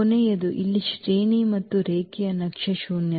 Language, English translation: Kannada, Last one here the rank and the nullity of a linear map